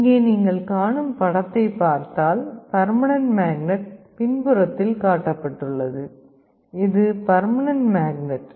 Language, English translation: Tamil, Just looking into the diagram you see here the permanent magnet is shown in the back this is the permanent magnet